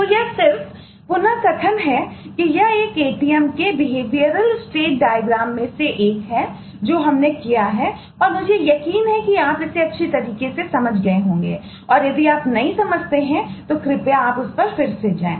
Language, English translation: Hindi, so this is eh just to recap that this is one of the behavioral state diagrams of an atm that we have done and am sure you have understood this well and, if you not, please go through that again now